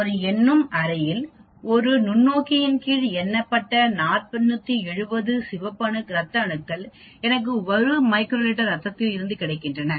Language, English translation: Tamil, In a counting chamber, I have got 470 red blood cells counted under a microscope in a volume of one micro liter